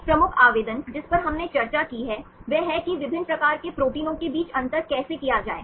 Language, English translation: Hindi, One major application we discussed, is how to distinguish between different types of proteins